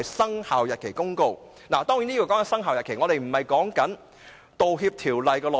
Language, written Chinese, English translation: Cantonese, 當然，所謂"生效日期"並非指《道歉條例》的內容。, Of course Commencement does not refer to the content of the Apology Ordinance